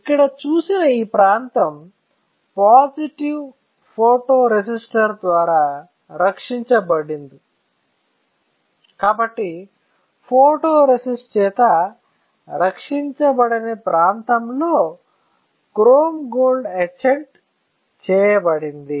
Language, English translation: Telugu, This area like you have seen here is not protected by positive photoresistor; so the area which was not protected by photoresist that will get etched in the chrome gold etchant, correct easy